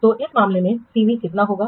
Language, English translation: Hindi, So, CV in this case would be how much